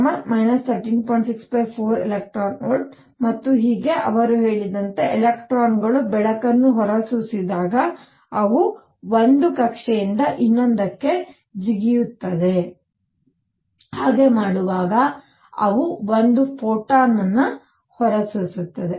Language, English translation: Kannada, 6 over 4 e V and so on what he said is when electrons emit light they jump from one orbit to the other in doing so, they emit one photon